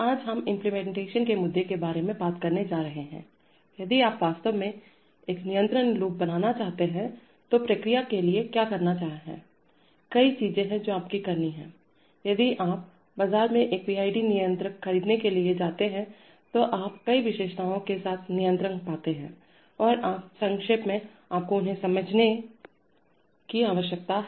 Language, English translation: Hindi, Today we are going to talk about the implementation issue, if you really want to make a control loop what for a process, there are several things that you have to do, if you go to buy a PID controller in the market, you find controllers with several features and you briefly, you need to understand them